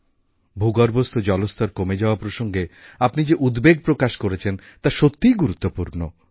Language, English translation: Bengali, The concerns you have raised on the depleting ground water levels is indeed of great importance